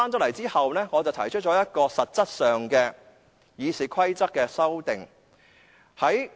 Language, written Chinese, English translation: Cantonese, 回來後，我提出一項實質的《議事規則》修訂。, After coming back I proposed a substantive amendment to RoP